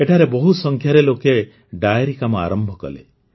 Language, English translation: Odia, A large number of people started dairy farming here